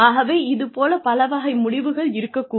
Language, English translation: Tamil, So, various types of outcomes could be there